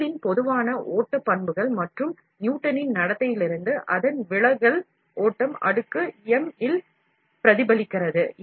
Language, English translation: Tamil, The general flow characteristics of the material, and its deviation from the Newtonian behavior is reflected in the flow exponent m